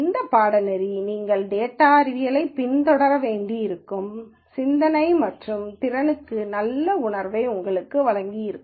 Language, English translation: Tamil, And this course would have hopefully given you a good feel for the kind of thinking and aptitude that you might need to follow up on data science